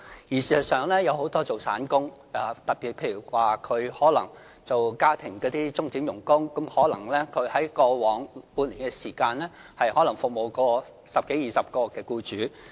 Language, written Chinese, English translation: Cantonese, 事實上，很多從事散工的市民，特別是家庭鐘點傭工，可能在過往半年內服務十多二十個僱主。, Actually many casual workers particularly hourly - rated domestic workers might have served a dozen to 20 employers over the past six months